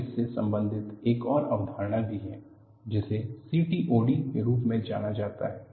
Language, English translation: Hindi, And there is also another related concept, which is known as CTOD